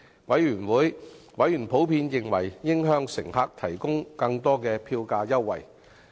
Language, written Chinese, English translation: Cantonese, 委員普遍認為應向乘客提供更多票價優惠。, Members in general considered that more fare concessions should be offered to passengers